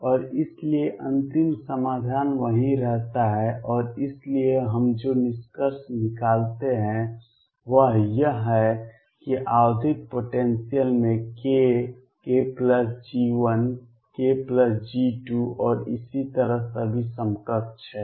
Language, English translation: Hindi, And therefore, the final solution remains the same and therefore, what we conclude is that in a periodic potential k, k plus G 1 k plus G 2 and so on are all equivalent